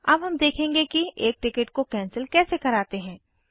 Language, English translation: Hindi, We will now see how to cancel a ticket